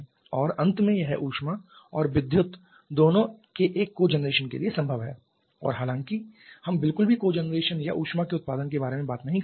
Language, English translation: Hindi, And finally it is possible to a cogeneration of both heat and electricity and though we are not at all talking about cogeneration or generation of heat